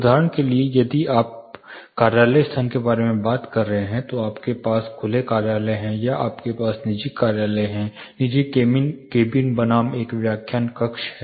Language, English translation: Hindi, Say for example, if you are talking about an office space you have open office, open plan offices, or you have private offices, private cabins versus a lecture hall